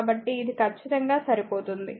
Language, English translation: Telugu, So, it is exactly matching